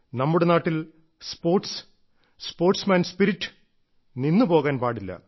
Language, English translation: Malayalam, In the country now, Sports and Games, sportsman spirit is not to stop